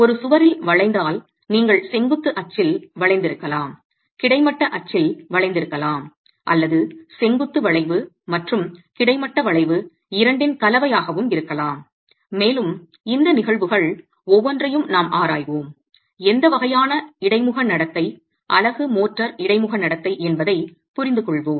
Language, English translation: Tamil, The bending in a wall you could have bending about the vertical axis, bending about the horizontal axis or a combination of both vertical bending and horizontal bending and we will examine each of these cases to understand what sort of a interface behavior unit motor interface behavior would you get and how do you characterize that because you need the strength